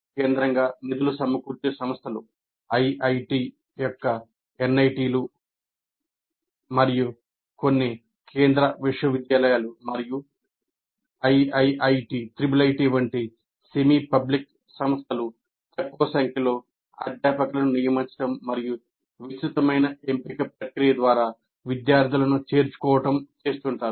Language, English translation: Telugu, Now, centrally funded institutions, IITs, NITs, and some central universities and a small number of semi public institutions like triple ITs, recruit faculty and admit students through elaborate selection process